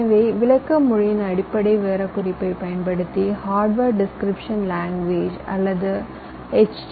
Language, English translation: Tamil, so we typically give our specification in terms of a description language, which you call as hardware description language or h d l